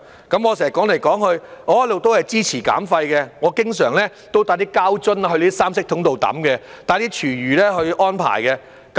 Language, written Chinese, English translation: Cantonese, 我不斷重複的說，我一直都支持減廢，我經常把膠樽帶到三色桶丟棄，安排廚餘棄置。, I keep repeating that I always support waste reduction and I always take plastic bottles to three - coloured waste separation bins for disposal and arrange for the disposal of food waste